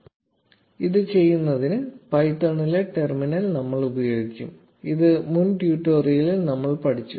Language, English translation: Malayalam, To do this we will use the terminal in python, which we learnt in the previous tutorial